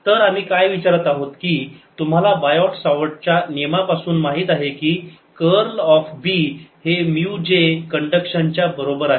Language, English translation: Marathi, so what we are asking is: you know from the bio savart law that curl of b is equal to mu j conduction